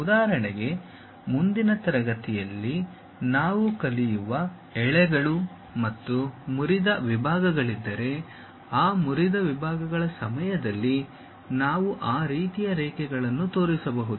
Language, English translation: Kannada, For example, if there are threads and broken out sections which we will learn in the next class, during that broken out sections we can really show that dashed kind of lines